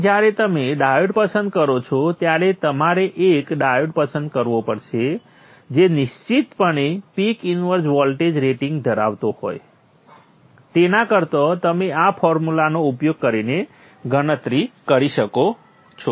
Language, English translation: Gujarati, So when you choose a diode, you have to choose a diode which is definitely much, having a peak inverse voltage rating much greater than what you would calculate using this formula